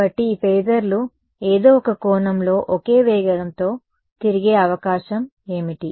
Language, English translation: Telugu, So, what is the only possibility for these phasors to rotate at the same speed in some sense